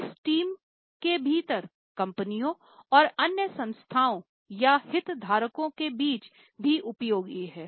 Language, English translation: Hindi, This is useful within the team also and between the corporates and other entities or stakeholders as well